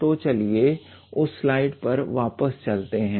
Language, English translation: Hindi, So, let us go back to that slide